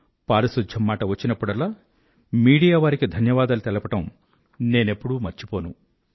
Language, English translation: Telugu, Whenever there is a reference to cleanliness, I do not forget to express my gratitude to media persons